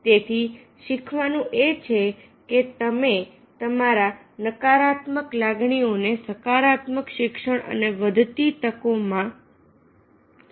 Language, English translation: Gujarati, so therefore, the learning lesson is that you turn your negative emotions into positive learning and growing opportunity